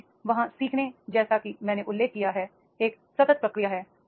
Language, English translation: Hindi, Finally is there, that is the learning as I mentioned is a continuous process